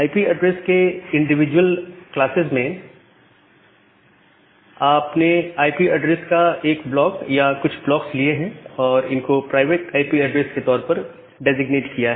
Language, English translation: Hindi, So, from individual classes of IP addresses, you have taken one block of IP address or few block of blocks of IP addresses and designated them as the private IP address